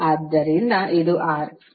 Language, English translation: Kannada, The symbol is R